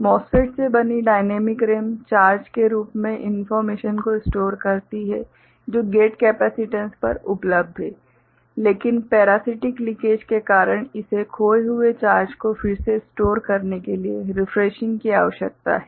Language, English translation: Hindi, That dynamic RAM made from MOSFET stores information in the form of charge which is available at the gate capacitance, parasitic in nature because of the leakage it requires refreshing to replenish the lost charge